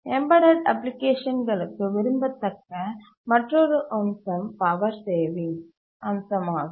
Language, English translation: Tamil, The other feature that is desirable for embedded applications is the power saving feature